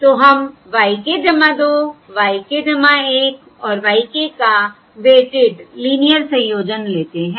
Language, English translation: Hindi, we take a weighted linear combination of y k plus 2, y k plus 1 and y k